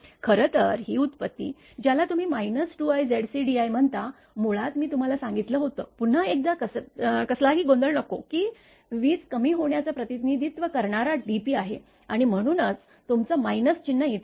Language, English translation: Marathi, Actually this derivation, minus your what you call a 2 i Z c d i this minus basically I told you again once again there should not be any contusion, this reflects the your that that dp represent reduction in power that is why your minus sign is considered here all right